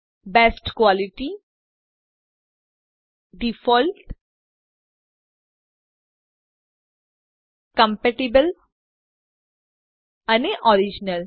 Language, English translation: Gujarati, Best quality, default, compatible and original